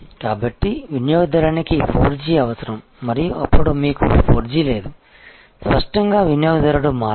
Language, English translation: Telugu, So, customer needs 4G and you have do not have 4G then; obviously, customer will switch